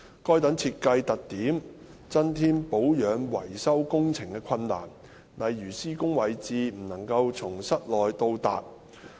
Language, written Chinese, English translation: Cantonese, 該等設計特點增添保養維修工程的困難，例如施工位置不能從室內到達。, Such design features have added difficulties to the repair and maintenance works eg . the work locations being inaccessible from the inside of the buildings